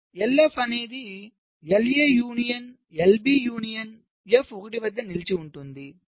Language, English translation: Telugu, so l f will be l a union, l b union f stuck at one